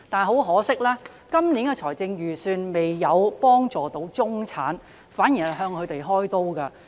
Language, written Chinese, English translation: Cantonese, 很可惜，今年的預算案不但未有幫助中產階層人士，反而向他們開刀。, Very regrettably not only does this years Budget fail to help the middle - class people it even victimizes them